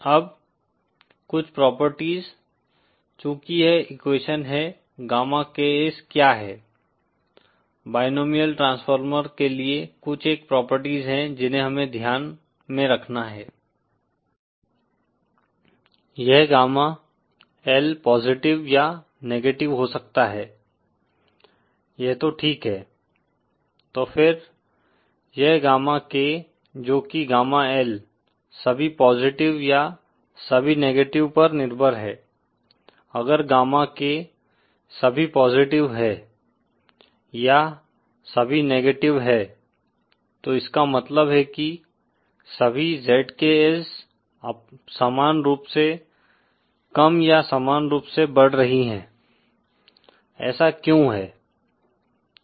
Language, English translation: Hindi, Now some of the properties, since this is the equation what the gamma KS for the binomial transformer a few of the properties that we have to keep in mind are that… …this gamma L can be positive or negative, that is fine so then, so then this gamma K which is dependent on gamma L is all positive or all negative, if gamma K is all positive or all negative then means that the ZKs are all uniformly decreasing or uniformly increasing, why is that